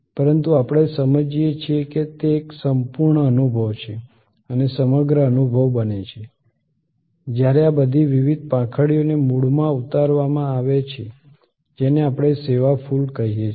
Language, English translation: Gujarati, But, we understand that, it is a total experience and the total experience is created, when all this different petals are added to the core to create what we call the service flower